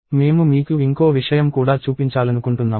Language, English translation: Telugu, So, I also want to show you something else